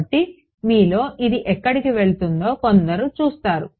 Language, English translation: Telugu, So, some of you see where this is going